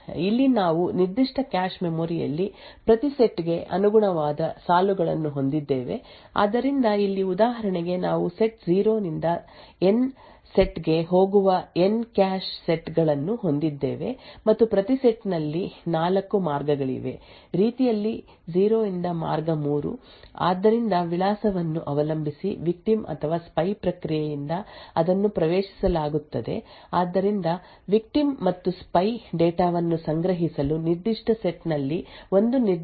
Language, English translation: Kannada, So over here we have rows corresponding to each set in that particular cache memory, so here for example we have N cache sets going from set 0 to set N and each set has 4 ways, way 0 to way 3, so depending on the address that is accessed by the victim or the spy process so one particular cache line in a particular set is used to store the victim and the spy data